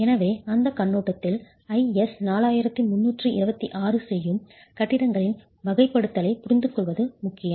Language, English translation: Tamil, So, from that perspective it is is important to understand the categorization of buildings that IS 4326 does